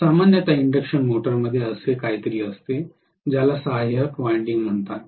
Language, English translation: Marathi, Normally induction motor will have something called auxiliary winding